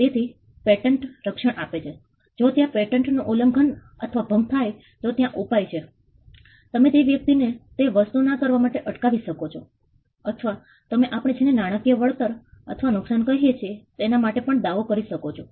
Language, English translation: Gujarati, So, patents offer protection if there is infringement or violation of a patent, there is a remedy you can stop the person from asking him not to do that thing or you can claim what we call monetary compensation or damages